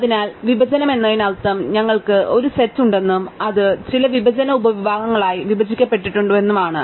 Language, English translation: Malayalam, So, by partition we mean that we have a set S and it is broken up into some disjoint subsets